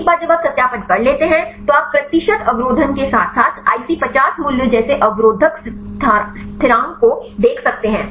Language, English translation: Hindi, Once you do the validation, then you can see the percentage inhibition as well as the inhibitor constant like the IC50 values and so on